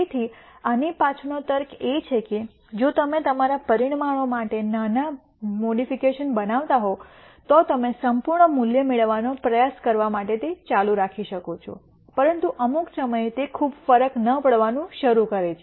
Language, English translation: Gujarati, So, the logic behind this is that if you are making minor modi cations to your parameters you can keep doing it to try to get to perfect value, but at some point it starts making not much of a difference